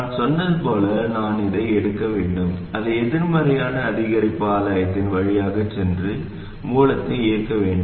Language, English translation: Tamil, Like I said, I should take this, make it go through a negative incremental gain and drive the source